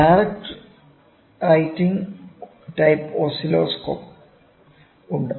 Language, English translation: Malayalam, Direct writing type Oscillographs are there